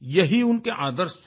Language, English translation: Hindi, These were his ideals